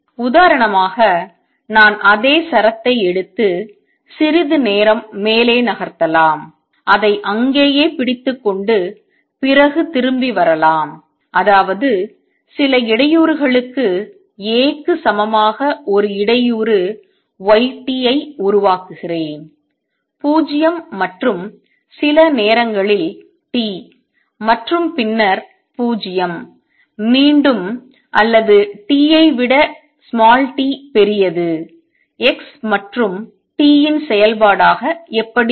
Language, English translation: Tamil, For example, I can take the same string and move it up for some time hold it there and then come back; that means, I create a disturbance y t as equal to some disturbance A for time between 0 and sometime t and then 0 again or t greater than T how would it look as a function of x and t